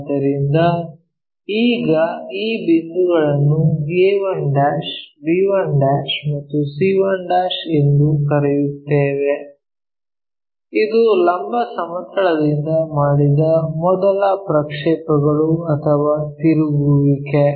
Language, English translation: Kannada, So, now, call these points as a 1', b 1' and c 1', this is the first projection or rotation what we made with vertical plane